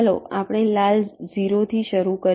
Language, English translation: Gujarati, lets start with a red zero